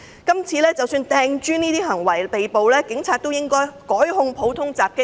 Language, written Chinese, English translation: Cantonese, 即使有人因擲磚而被捕，警察是否亦應該改控他們普通襲擊罪。, Even if people are arrested for throwing bricks should the Police consider the alternative charge of common assault?